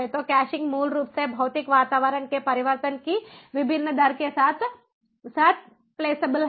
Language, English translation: Hindi, so ah caching basically is flexible ah with the varied rate of change of the physical environment